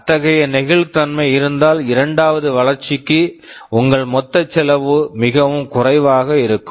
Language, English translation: Tamil, Well if that flexibility is there, then possibly for the second development your total cost would be much less